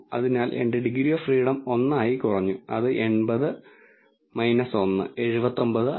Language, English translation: Malayalam, So, my degrees of freedom reduced by 1, so 80 minus 1, 79